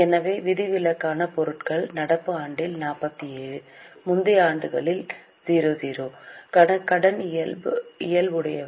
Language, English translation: Tamil, So, exceptional items are of credit nature, 47 in the current year, 0 in the earlier years